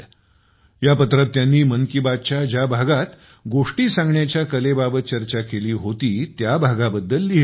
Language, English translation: Marathi, In her letter, she has written about that episode of 'Mann Ki Baat', in which we had discussed about story telling